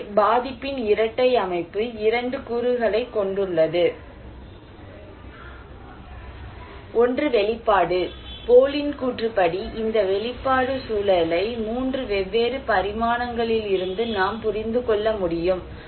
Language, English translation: Tamil, So, double structure of vulnerability, two components; one is the exposure one and this exposure one according to Bohle that we can understand this exposure context from 3 different dimensions